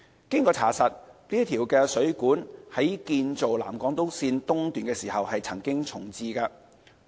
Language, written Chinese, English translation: Cantonese, 經查實，該水管在建造南港島線時曾經重置。, It is confirmed that the water pipe concerned was reprovisioned when constructing the SIL East